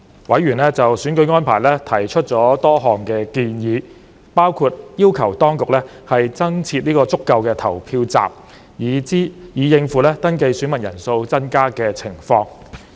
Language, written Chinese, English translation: Cantonese, 委員就選舉安排提出了多項建議，包括要求當局增設足夠的投票站，以應付登記選民人數增加的情況。, Members put forth various recommendations on the arrangements for the election including requesting the authorities to set up an adequate number of additional polling stations to cope with the increasing number of registered voters